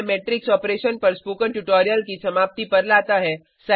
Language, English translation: Hindi, This brings us to the end of this spoken tutorial on Matrix Operation